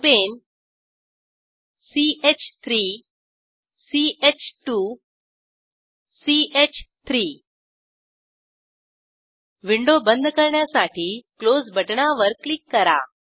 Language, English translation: Marathi, Propane CH3 CH2 CH3 Lets click on Close button to close the window